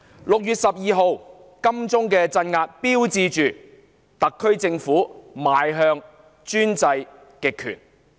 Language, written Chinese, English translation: Cantonese, 6月12日在金鐘的鎮壓標誌着特區政府邁向專制極權。, The crackdown in Admiralty on 12 June marked the slide of the Special Administrative Region SAR Government towards authoritarian totalitarianism